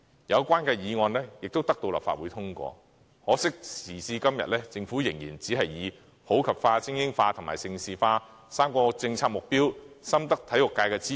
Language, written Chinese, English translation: Cantonese, 有關的議案得到立法會通過，可惜時至今天，政府對此要求仍然推搪，理由是普及化、精英化、盛事化3個政策目標深得體育界支持。, Though the motion concerned was carried by this Council the Government has until today sidestepped the demands of the motion regrettably citing the excuse that the three policy objectives above are popularly received by the sports sector